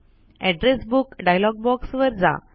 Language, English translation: Marathi, Go to the Address Book dialog box